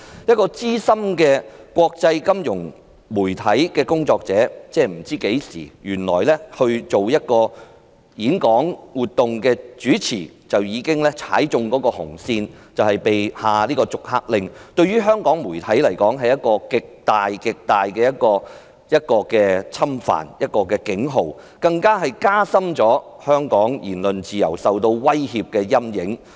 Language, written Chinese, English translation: Cantonese, 一位資深的國際媒體工作者主持一次演講活動，原來已踩了紅線被下逐客令，這對香港媒體是一個極大的侵犯、警號，更加深了香港言論自由受到威脅的陰影。, A seasoned international media worker is expelled just because he chaired a talk and consequently overstepped the red line . That is a serious encroachment on the media in Hong Kong and also a warning to them . It casts a shadow that the freedom of speech in Hong Kong has been threatened